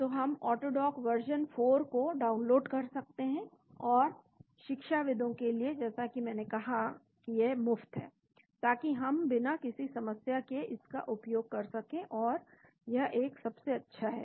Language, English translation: Hindi, So we can download AutoDock version 4 and for academia as I said it is free so we can use that without any problem and it is one of the best